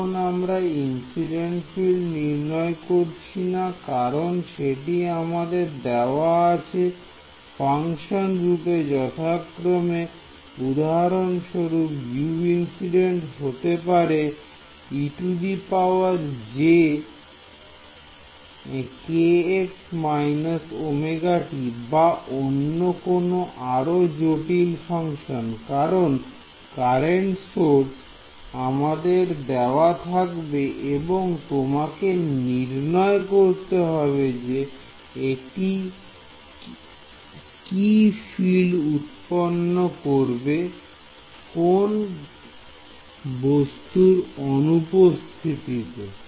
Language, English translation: Bengali, No, we are not computing the incident field it is given to me in functional form for example, U incident can be e to the j k x minus omega t or some other complicated function because it is like then given in the problem the current source is given to you can calculate what field it produces in the absence of the object that is given to you fine